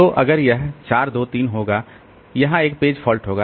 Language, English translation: Hindi, So, it will become 5 1 2 and there is a page fault